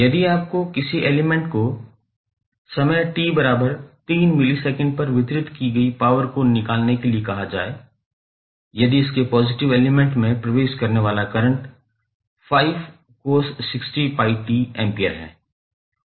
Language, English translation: Hindi, If you are asked to find the power delivered to an element at time t is equal to 3 millisecond if the current entering its positive element is 5 cos 60 pi t ampere and voltage v is 3i